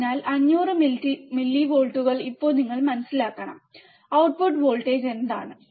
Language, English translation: Malayalam, So, 500 millivolts now you have to understand what is the output voltage and what is a time